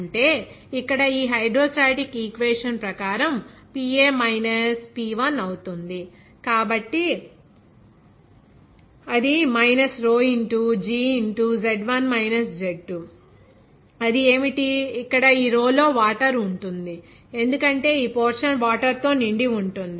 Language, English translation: Telugu, That means here, according to this hydrostatic equation, it will be PA minus P1, so for that minus rho into g into Z1 minus Z2, what would be that, here in this rho will be of water because this portion is filled with water